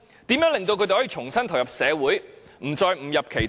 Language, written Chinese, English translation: Cantonese, 如何令他們重新投入社會，不再誤入歧途？, How can they help prisoners return to society and prevent them from taking the wrong track again?